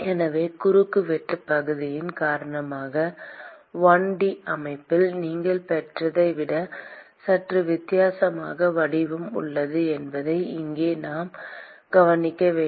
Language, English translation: Tamil, So, here we should note that because of the cross sectional area you have a slightly different form than what you got in a 1 D system